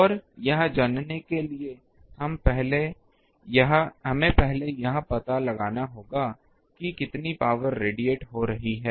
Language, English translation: Hindi, And, to find that we will have to first find how much power is getting radiated